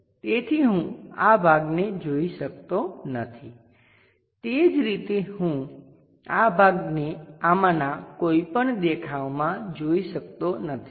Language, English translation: Gujarati, So, I can not visualize this part, similarly I can not visualize this part from any of these views